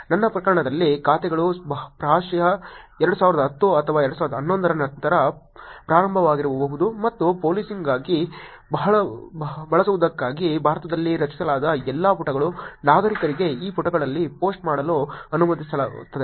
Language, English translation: Kannada, In our case the accounts have probably started after 2010 or 2011 and all the pages that are created in India for using for policing allows citizens to actually post on these pages